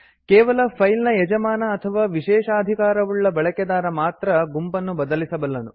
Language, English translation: Kannada, Only the owner of a file or a privileged user may change the group